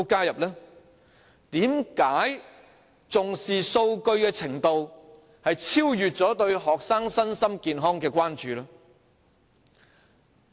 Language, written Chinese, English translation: Cantonese, 為何重視數據的程度超越對學生身心健康的關注？, Why does the importance attached to figures exceed the concern for the physical and mental health of students?